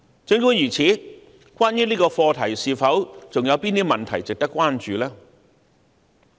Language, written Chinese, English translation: Cantonese, 儘管如此，關於這個課題，是否還有甚麼問題值得關注？, Notwithstanding is there any other issue of concern regarding this subject?